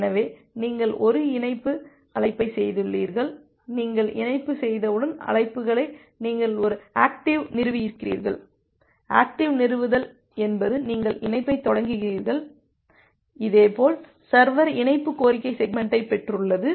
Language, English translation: Tamil, So, you have make a connect call, so once you have make the connect calls, that time this is you have made a active establishment, active establishment means you have initiated the connection; similarly the server it has received the connection request segment